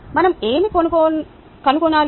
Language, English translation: Telugu, that is what we need to find